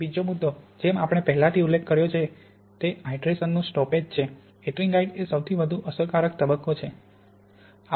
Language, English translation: Gujarati, The second point as we already mentioned is the stoppage of hydration, ettringite is the most effective phase